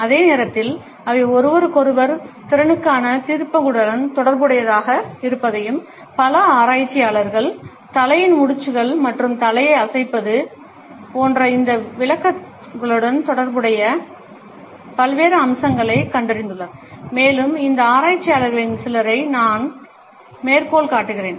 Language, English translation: Tamil, At the same time, we would find that they are also associated with judgments of interpersonal competence and several researchers have found out different aspects related with these interpretations of head nods and shaking of the head and I quote some of these researchers